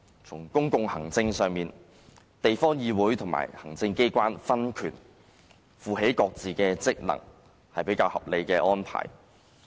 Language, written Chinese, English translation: Cantonese, 在公共行政上，地方議會和行政機關分權，負起各自的職能，是比較合理的安排。, In terms of public administration it is more acceptable to have separation of powers between local councils and the executive authorities which respectively carry out their functions